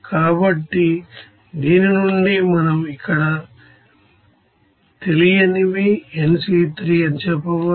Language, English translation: Telugu, So from this we can say that these are unknown but other unknowns like here nC3